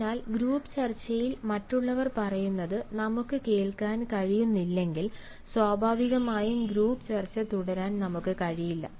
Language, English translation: Malayalam, so if we are not able to hear what other people say in the group discussion, naturally we cannot have ah the group discussion continue for a long time